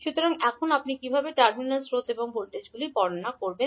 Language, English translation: Bengali, So now, how you will describe the terminal currents and voltages